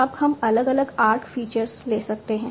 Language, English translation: Hindi, Now what are the different arc features you can take